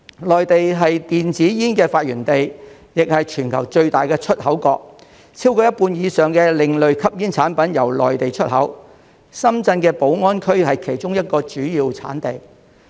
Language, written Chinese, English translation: Cantonese, 內地是電子煙的發源地，也是全球最大的出口國，超過一半以上的另類吸煙產品由內地出口，深圳的寶安區是其中一個主要產地。, The Mainland is the birthplace of e - cigarettes and the largest exporter in the world . Over half of the alternative smoking products are exported from the Mainland with Baoan District in Shenzhen being one of the major producers